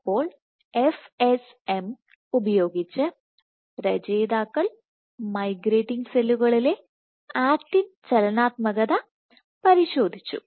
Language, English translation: Malayalam, So, using FSM the authors probed actin dynamics in migrating cells